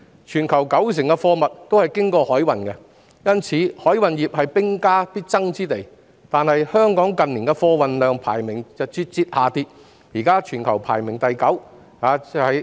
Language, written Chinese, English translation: Cantonese, 全球九成的貨物均是經海路運輸，因此，海運業是兵家必爭之地，但香港近年的貨運量排名節節下跌，現時全球排名第九位。, Since 90 % of the goods in the world are transported by sea the maritime industry is characterized by intense competition but Hong Kongs ranking in terms of cargo throughput has fallen successively in recent years and now stands at the ninth position worldwide